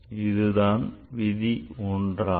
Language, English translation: Tamil, That's what the rule 1